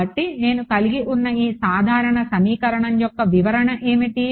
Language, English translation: Telugu, So, what is this what is an interpretation of this general equation that I have